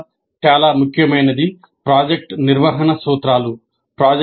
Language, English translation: Telugu, The first very important one is that project management principles